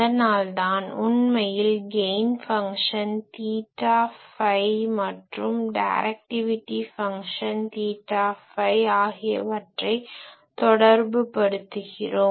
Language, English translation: Tamil, So, that is why we actually relate this gain function theta phi that can be related to directivity function theta phi